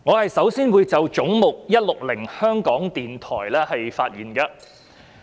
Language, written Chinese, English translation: Cantonese, 我首先會就"總目 160─ 香港電台"發言。, I will first speak on Head 160―Radio Television Hong Kong